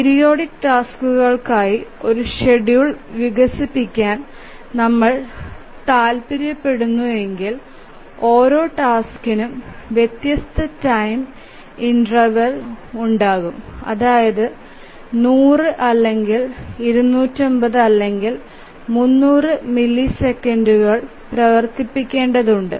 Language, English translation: Malayalam, Let me rephrase that if we want to develop a schedule for this n periodic tasks, each task requiring running at different time intervals, some may be 100, some may be 250, some may be 300 milliseconds etc